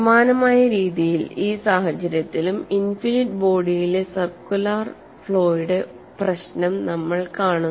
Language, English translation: Malayalam, In a similar way in this case we find problem of a circular flaw in an infinite body